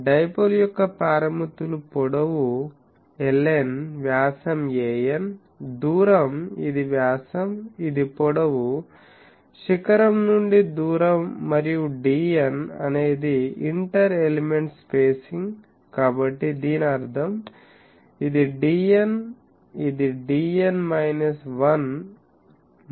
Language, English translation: Telugu, Parameters of dipole are length l n, diameter a n, distance, this is diameter, this is length, distance from apex and d n is the inter element spacing, so that means, this is d n, this is d n minus 1 etc